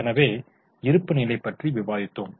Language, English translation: Tamil, So, we discussed about the balance sheet